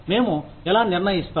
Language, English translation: Telugu, How do we decide